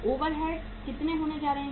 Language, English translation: Hindi, Overheads are going to be how much